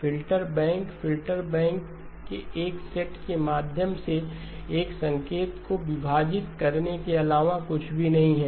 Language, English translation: Hindi, Filter banks is nothing but splitting a signal through a set of filters